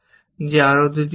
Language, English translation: Bengali, I have done two actions